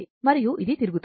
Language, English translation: Telugu, Now, it is revolving